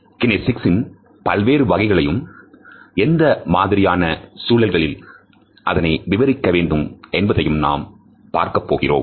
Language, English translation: Tamil, We would look at what are the different types of kinesics and what are the context in which their interpretation has to be done